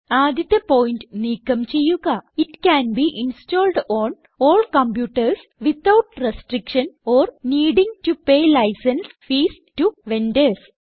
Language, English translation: Malayalam, Delete the first point It can be installed on all computers without restriction or needing to pay license fees to vendors